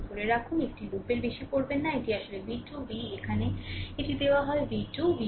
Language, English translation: Bengali, Hold on v 2 do not over loop this, this is actually v 2 right